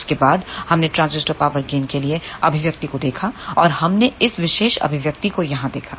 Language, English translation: Hindi, After that we looked at the expression for transducer power gain and we had seen this particular expression over here